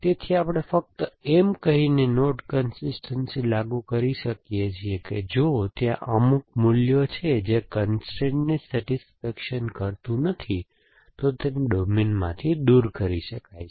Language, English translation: Gujarati, So, we can enforce node consistency by simply saying that if there is some value which does not satisfy constraint, remove it from the domain